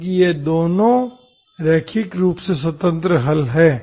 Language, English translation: Hindi, Because these 2 are linearly independent solutions, okay